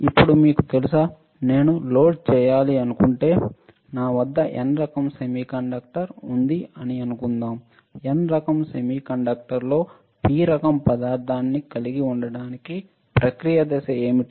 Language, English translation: Telugu, Now, you guys know if I want to dope, let us say if I have a N type semiconductor and I want to have a P type material in N type semiconductor right what is a process step